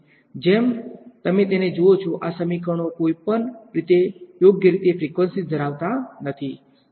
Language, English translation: Gujarati, As you see it these equations do not have frequency directly anyway right